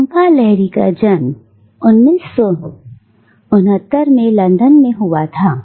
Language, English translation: Hindi, Jhumpa Lahiri was born in 1969 in London